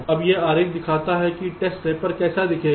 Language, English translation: Hindi, now this diagram shows how the test rapper will looks like